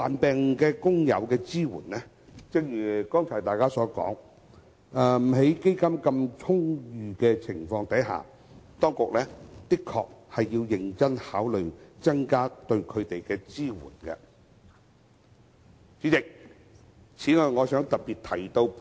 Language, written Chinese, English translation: Cantonese, 正如剛才有議員提到，在基金充裕的情況下，當局的確需認真考慮增加對患病工友的支援。, As some Members have just mentioned given ample funds the authorities should seriously consider enhancing support for sick workers